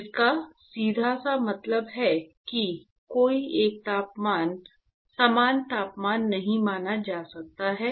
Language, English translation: Hindi, Which simply means that no uniform temperature can be assumed